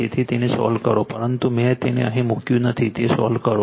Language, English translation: Gujarati, Actually solve, but I did not put it here you solve it